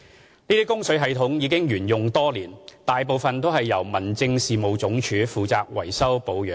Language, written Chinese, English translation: Cantonese, 這些供水系統已沿用多年，大部分由民政事務總署負責維修保養。, These supply systems have been in use for many years . Most of them are under the maintenance of the Home Affairs Department HAD